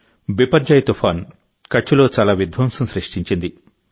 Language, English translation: Telugu, Cyclone Biparjoy caused a lot of destruction in Kutch